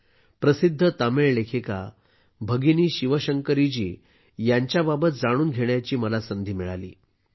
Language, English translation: Marathi, I have got the opportunity to know about the famous Tamil writer Sister ShivaShankari Ji